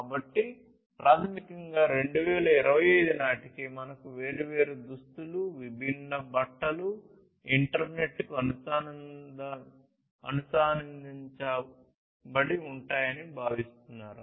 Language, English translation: Telugu, So, basically by 2025, it is expected that we will have the different clothing, the different fabrics, etc connected to the internet